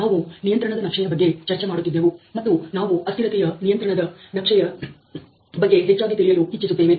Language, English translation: Kannada, We were discussing about control charts, and we would like to see a little more of variable control charts